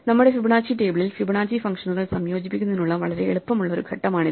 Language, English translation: Malayalam, This is a very easy step to incorporate into our Fibonacci table, the Fibonacci functions